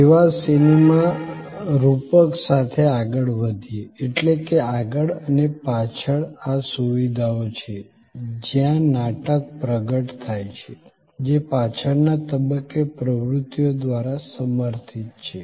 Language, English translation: Gujarati, Continuing with the service theater metaphor, that there are these facility wise front and back, where the drama unfolds, supported by activities at the back stage